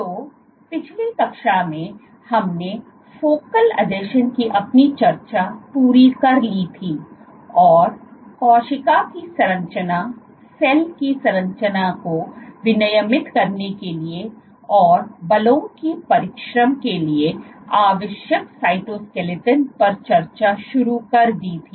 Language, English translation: Hindi, So, in the last class we had completed our discussion of focal adhesions and started discussing cytoskeleton the machinery which is required for regulating the structure of the cell, its dynamics and for exertion of forces